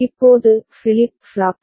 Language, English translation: Tamil, Now, flip flop B